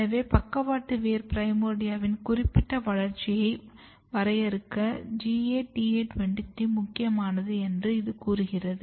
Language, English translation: Tamil, So, this tells that GATA23 is important for defining lateral root primordia specific developmental program